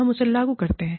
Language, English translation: Hindi, We implement it